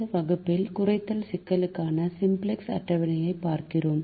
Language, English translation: Tamil, we look at the simplex table for minimization problems